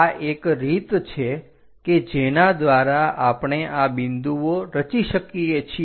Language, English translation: Gujarati, This is the way we construct all these points